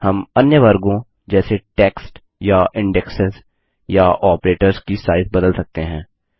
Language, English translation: Hindi, We can change the relative sizes of other categories such as the text or indexes or operators